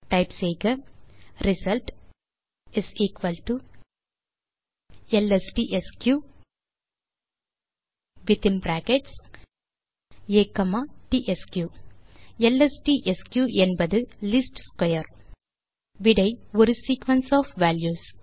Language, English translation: Tamil, Type result = lstsq within brackets A comma tsq where lstsq stands for least square The result is a sequence of values